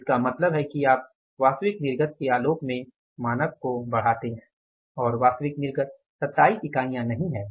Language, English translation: Hindi, 5 so it means you upscale the standard in the light of the actual output and actual output is not 27 units actual output is 26